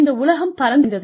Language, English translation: Tamil, I mean, the world is open